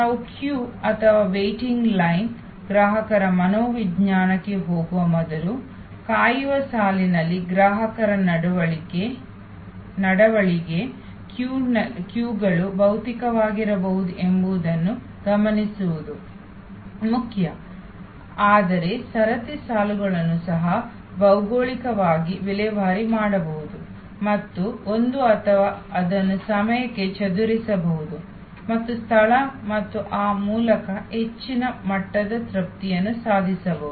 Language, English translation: Kannada, Before we move to the customer psychology in the queue or waiting line, consumer behavior in the waiting line, it is important to note that queues can be physical, but queues can also be geographical disposed and there is a or it can be dispersed in time and space and thereby actually a much higher level of satisfaction can be achieved